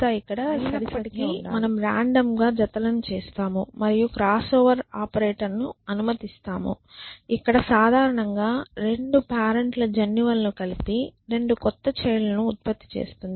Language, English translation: Telugu, But still we do random pairings and allow the cross over operator which is basically mixing up the genes of the 2 parents and producing 2 new children